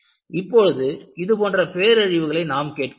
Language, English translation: Tamil, Now, we hear such disasters